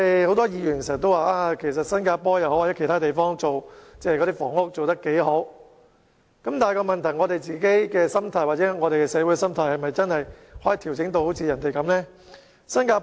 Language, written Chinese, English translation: Cantonese, 很多議員經常說新加坡或其他地方的房屋政策做得很好，但我們可否把自己或社會的心態調整至像這些地方般？, A lot of Members said time and again that Singapore or some other places are doing very well in their housing policy but can we or the community at large adjust our attitude to that of these places?